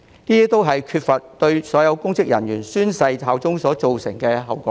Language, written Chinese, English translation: Cantonese, 這些都是沒有要求所有公職人員宣誓效忠所造成的後果。, These are all the consequences arising from not having a requirement for all public officers to swear allegiance